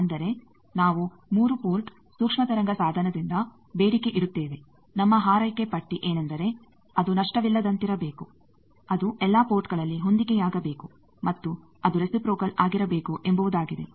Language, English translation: Kannada, That means, we demand from a 3 port microwave device, our wish list that it should be lossless, it should be matched that all the ports, and it should be reciprocal